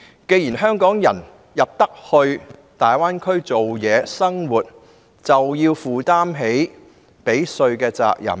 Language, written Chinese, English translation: Cantonese, 既然香港人進入大灣區工作和生活，便應負起繳稅的責任。, Those Hong Kong people who choose to work and live in the Greater Bay Area should fulfil their responsibility of paying tax to the local governments